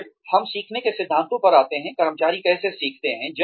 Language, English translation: Hindi, Then, we come to the principles of learning, how do employees learn